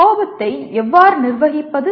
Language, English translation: Tamil, And how do you manage anger